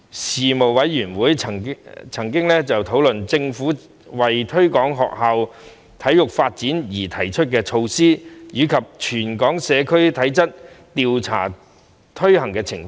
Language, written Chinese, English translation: Cantonese, 事務委員會曾討論政府為推廣學校體育發展而提出的措施，以及全港社區體質調查的推行情況。, The Panel discussed the Governments various initiatives to promote sports development in schools and the implementation of the Territory - wide Physical Fitness Survey for the Community